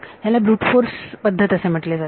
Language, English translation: Marathi, That is what is called a brute force way of doing it